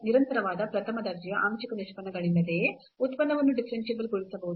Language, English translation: Kannada, A function can be differentiable without having continuous first order partial derivatives